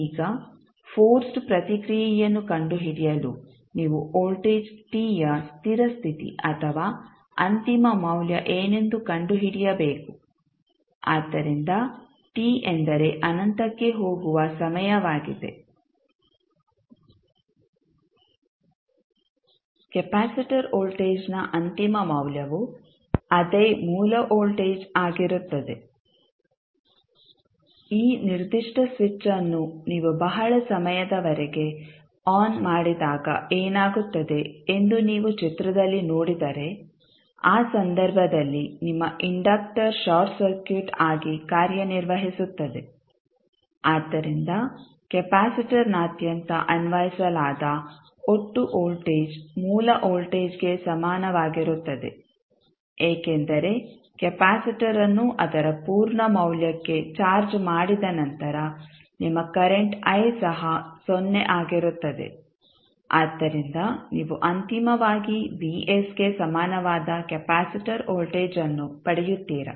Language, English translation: Kannada, Now to find the force response you need to find out what would be the steady state or final value of voltage t, so that is vt means the time which tends to infinity, the final value of capacitor voltage will be the same voltage that is the source voltage, if you see the figure when you keep on this particular switch on for a very long period what will happen, in that case your inductor will act as a short circuit, so the total voltage would be applied across the capacitor will be equal to the source voltage, because after the capacitor is charged to its full value your current i will also be 0, so you will get finally the capacitor voltage equal to Vs